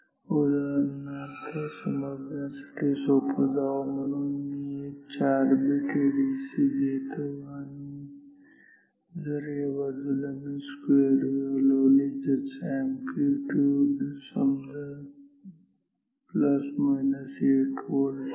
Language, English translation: Marathi, So, for example, if I take our say if I take for simplicity let me take a 4 bit ADC and if on this side, if I give a sine wave whose amplitude is say plus minus 8 volt